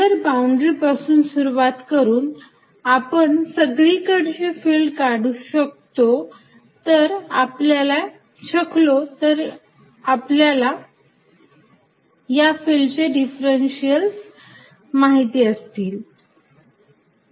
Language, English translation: Marathi, So, starting from a boundary, one can find field everywhere else if differentials of the field are known